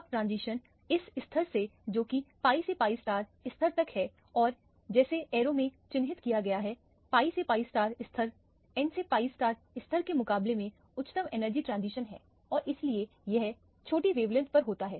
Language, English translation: Hindi, Now, the transition is from this level which is the pi level to the pi star level which is denoted by the arrow which is shown here the pi to pi star level compared to the n to pi star level is a higher energy transition and hence it occurs at lower wavelength